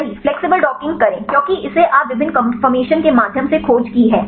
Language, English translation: Hindi, Flexible docking right it because you have search through various conformations right